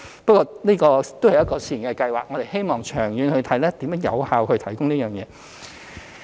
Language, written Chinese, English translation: Cantonese, 不過，這只是試驗計劃，我們希望長遠檢視如何有效提供這服務。, Yet given that it is only a Pilot Scheme we will conduct a review to see how this service can be provided effectively in the long run